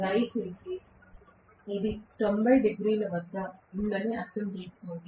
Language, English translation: Telugu, Please understand this is at 90 degrees